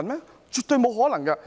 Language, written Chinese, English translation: Cantonese, 這是絕對不可能的。, It is absolutely impossible